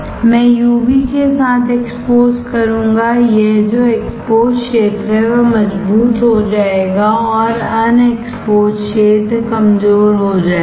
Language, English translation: Hindi, And you can see that the exposed area I will expose with UV; the exposed area that is this one will get stronger and the unexposed area will get weaker